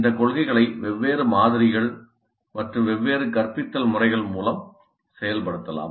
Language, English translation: Tamil, These principles can be implemented by different models and different instructional methods